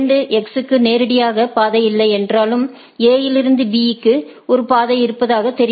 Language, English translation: Tamil, It sees that though there is no path for 2 X directly, but there is a it seems a there is a path from A to via B